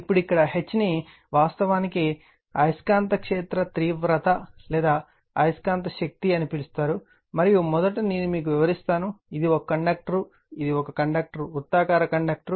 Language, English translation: Telugu, Now, this is suppose here now H is actually called magnetic field intensity or magnetic force, and first let me tell you, this is a conductor right, this is a conductor circular conductor